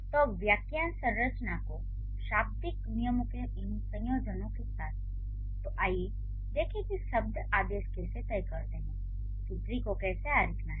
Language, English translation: Hindi, So, with these combination of the phrase structure and the lexical rules, now let's see how the word orders decide how the tree to be to be drawn